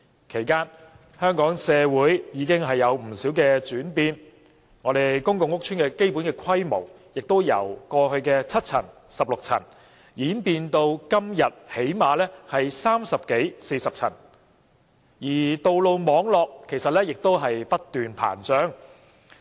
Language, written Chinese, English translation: Cantonese, 其間，香港社會已有不少轉變，例如，公共屋邨的基本規模已由過去的7層或16層，演變至今天最低限度也有30層至40層，而道路網絡亦不斷膨脹。, During this period of time there have been many changes in Hong Kong society . For instance the basic structure of public housing estates has transformed from 7 or 16 storeys in the past to at least 30 to 40 storeys now . Meanwhile there is an incessant expansion of road networks